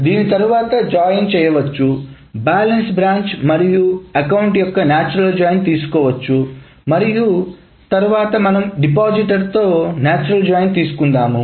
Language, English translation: Telugu, This can be then joined, the natural join of branch and account can be taken and that can then be taken the natural joint with depositor